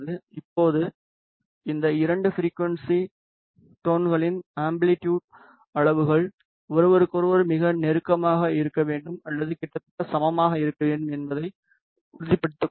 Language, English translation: Tamil, Now, make sure that the amplitude levels of these two frequency tones has to be very close to each other or nearly equal